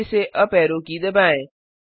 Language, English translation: Hindi, Press the uparrow key twice